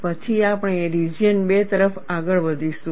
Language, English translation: Gujarati, Then we will move on to region 2